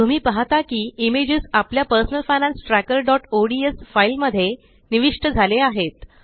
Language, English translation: Marathi, You see that the image gets inserted into our Personal Finance Tracker.ods file